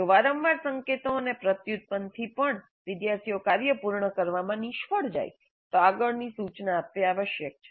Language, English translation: Gujarati, And if repeated cues and prompts fail to get the students complete the task, it is likely that further instruction is required